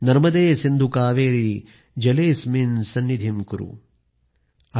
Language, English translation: Marathi, Narmade Sindhu Kaveri Jale asminn Sannidhim Kuru